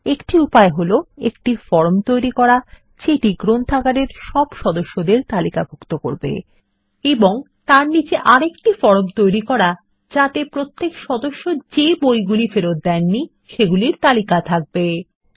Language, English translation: Bengali, One way is to create a form listing all the members in the library And then creating a subform below it, to list those books that have not yet been returned by the member